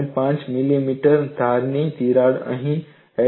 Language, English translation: Gujarati, 5 millimeter here, another edge crack of 8